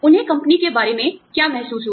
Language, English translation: Hindi, What they felt about the company